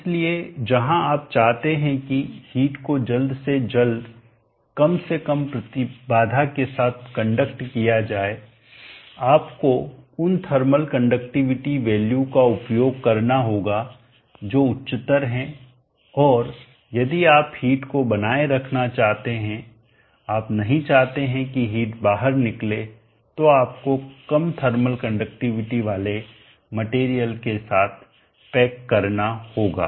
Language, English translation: Hindi, So where you want the heat to be conducted quickly with as little impedance as possible you have to use thermal conductivity values which are higher and if you want to reading the heat you do not want tot the heat conduct out you have to packet with materials having low thermal conductivity